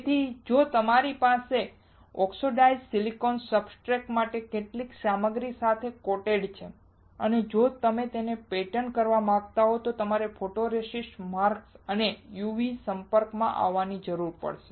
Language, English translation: Gujarati, So, if you have oxidised silicon substrate coated with some material and if you want to pattern it you will need a photoresist, a mask, and a UV exposure